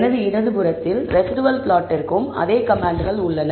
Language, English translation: Tamil, On my left, I have the same commands for the residual plot